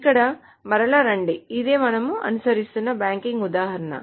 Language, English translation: Telugu, So coming back here, this is the same banking example that we have been following